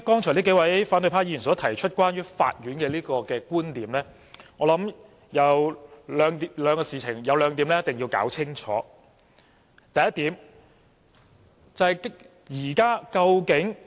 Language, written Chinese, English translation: Cantonese, 數位反對派議員剛才提出了有關法院的觀點，我想其中有兩點是一定要弄清楚的。, Several Members of the opposition camp have presented their viewpoints regarding the Court and I think we should be clear about two of them